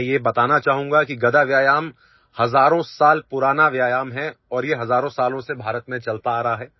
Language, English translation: Hindi, I would like to tell you that mace exercise is thousands of years old and it has been practiced in India for thousands of years